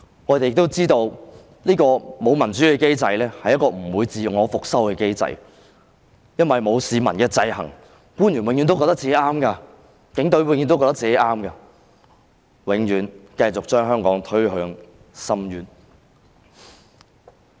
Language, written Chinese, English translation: Cantonese, 我們亦知道這個沒有民主的機制，是一個不會自我修復的機制，因為沒有市民的制衡，官員、警隊永遠也覺得自己是正確的，會永遠繼續把香港推向深淵。, We also know that a non - democratic mechanism is not a self - healing mechanism because without the checks and balances exercised by members of the public officials and the Police always think that they are correct and will always continue to push Hong Kong towards the abyss